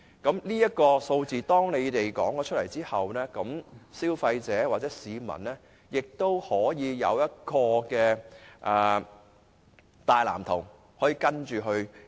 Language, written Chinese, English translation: Cantonese, 在政府提出有關數字後，消費者或市民便有一個大藍圖可作依循。, With the formulation of a clear percentage for this purpose there will be a major blueprint for consumers or members of the public to follow